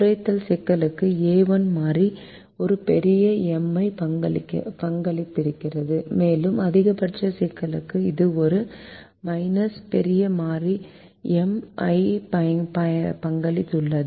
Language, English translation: Tamil, the a one variable to the minimization problem would have contributed a big m and for the maximization problem it contributes a minus big m